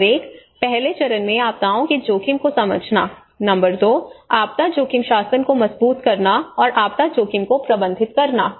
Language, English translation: Hindi, Number one, understanding the disasters risk in the first stage, number 2, strengthening the disaster risk governance and the manage disaster risk